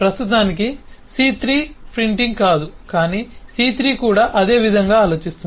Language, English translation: Telugu, c3, for now, is not printing, but c3 also thinks the same way